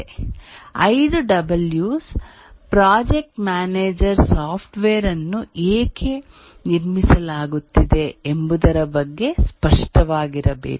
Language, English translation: Kannada, The 5 Ws are the project manager need to be clear about why is the software being built